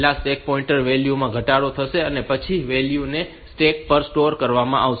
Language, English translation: Gujarati, First the stack pointer value will be decremented, and then the value will be stored on to the stack